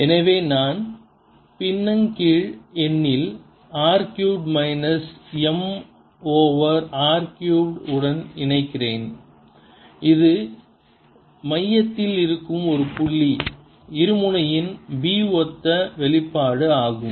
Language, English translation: Tamil, so i am left with r cubed in the denominator minus m over r cube, which is a same expression as b for a point dipole sitting at the centre